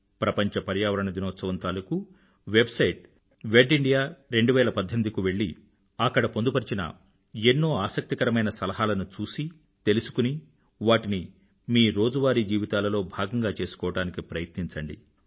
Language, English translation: Telugu, Let us all visit the World Environment Day website 'wedindia 2018' and try to imbibe and inculcate the many interesting suggestions given there into our everyday life